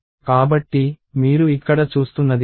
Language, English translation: Telugu, So, that is what you see here